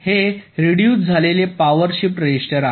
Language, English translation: Marathi, very specific, this is a reduced power shift register